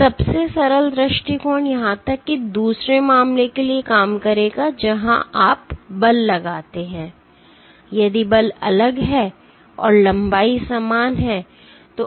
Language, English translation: Hindi, So, the simplest approach will even work for the other case where you are forces; if forces are different and lengths are same